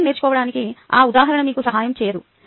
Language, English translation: Telugu, that example doesnt help you to learn cycling